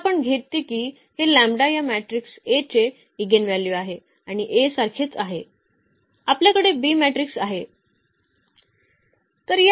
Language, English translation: Marathi, So, what we take that let us say this lambda is the eigenvalue of this matrix A and the similar to A, we have the B matrix